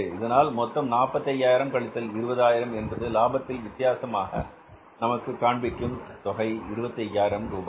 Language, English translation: Tamil, So this is the 45 minus this 20,000 final net difference of the in the profit has been seen here is that is the 25,000 rupees